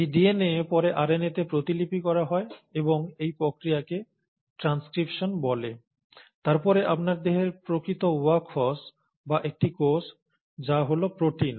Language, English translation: Bengali, And this DNA is then transcribed and this process is called as transcription into RNA, followed by the actual work horses of your body or a cell, which is the protein